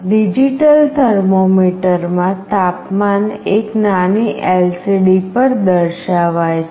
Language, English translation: Gujarati, In a digital thermometer, the temperature is displayed on a tiny LCD